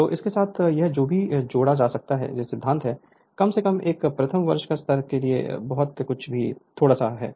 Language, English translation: Hindi, So, with this with this whatever little bit is theory is there at least at least a first year level whatever little bit is there